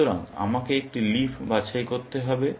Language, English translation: Bengali, So, I have to pick a leaf